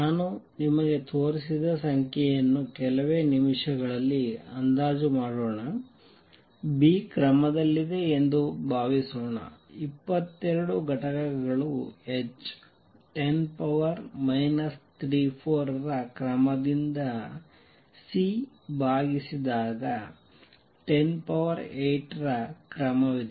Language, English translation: Kannada, Let us estimate the number I have just shown you few minutes suppose B is of the order 22 units h is of the order of 10 raise to minus 34 divided by C is of the order of 10 raise to 8